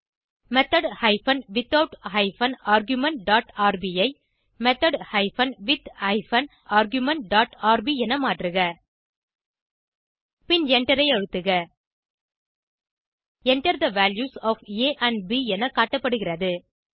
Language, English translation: Tamil, Replace method hyphen without hyphen arguments dot rb with method hyphen with hyphen arguments dot rb And Press Enter Enter the values of a and b is displayed